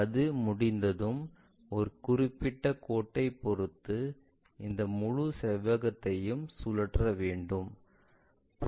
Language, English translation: Tamil, Once that is done we will be in a position to rotate this entire rectangle with respect to a particular line